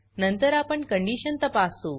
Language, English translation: Marathi, Then we check the condition